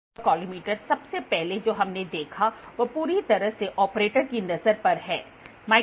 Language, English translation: Hindi, The visual autocollimator the first one what we saw they lies totally on the operates eye, right